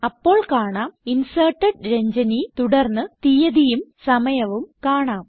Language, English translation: Malayalam, You will see the message Inserted Ranjani: followed by date and time of insertion